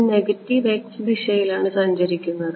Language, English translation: Malayalam, It is traveling in the minus x direction